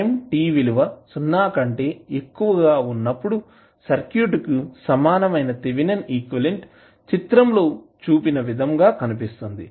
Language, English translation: Telugu, The Thevenin equivalent for the circuit at time t greater than 0 would be looking like as shown in the figure